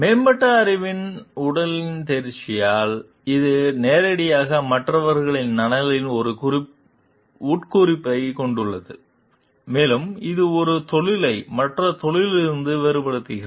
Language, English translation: Tamil, And by the mastery of a body of advanced knowledge; so, which directly beers has an implication on the welfare of others and that it is that which distinguishes a profession from other occupations